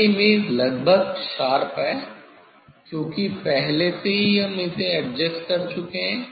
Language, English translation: Hindi, this image is almost sharp, because already earlier we adjust it